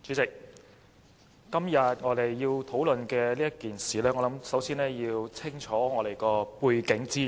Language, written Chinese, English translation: Cantonese, 主席，對於今天要討論的事宜，我們首先要弄清楚背景資料。, President first we need to be clear about the background information of todays discussion